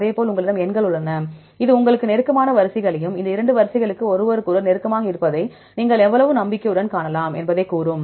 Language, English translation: Tamil, Likewise you have the numbers this will tell you the closest sequences as well as how confident you can see that these two sequences are close to each other